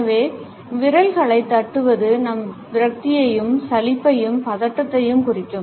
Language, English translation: Tamil, So, drumming or tapping the fingers can indicate our frustration, our boredom and anxiety